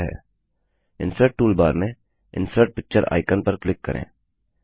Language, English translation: Hindi, From the Insert toolbar,click on the Insert Picture icon